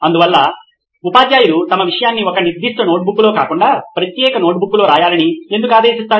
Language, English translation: Telugu, So why do teachers mandate that their subject should be written in a separate notebook rather than in one particular notebook